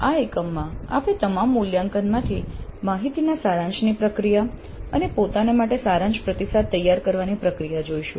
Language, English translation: Gujarati, In this unit we look at the process of summarization of data from all evaluations and the preparation of summary feedback to self